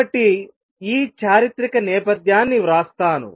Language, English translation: Telugu, So, let me just write this historical background